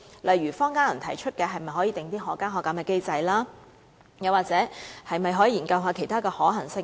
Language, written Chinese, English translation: Cantonese, 例如坊間有人提出可否訂定可加可減機制，又或是否可以研究其他可行性。, For instance some people on the street propose that an adjustment mechanism be set up or other possibilities be examined